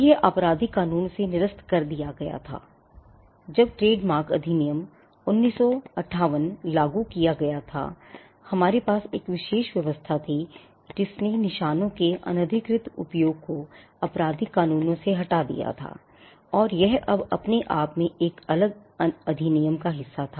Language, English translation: Hindi, Now, this was repealed from the criminal laws; when the Trademarks Act, 1958 was enacted and we had a special regime the provision which criminalized unauthorized use of marks was removed from the criminal statutes and it was now a part of a separate act in itself